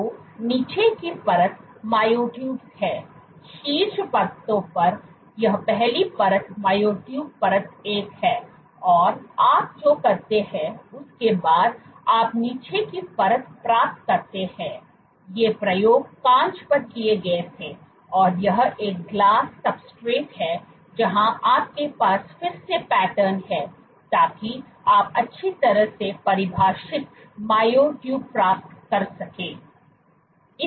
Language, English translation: Hindi, So, the bottom layer is myotubes, on the top layers this is the first layer myotube layer one, and you on what you do is after you get a bottom layer these experiments were done on glass this is a glass substrate where you again have patterns so, that you can get well defined myotubes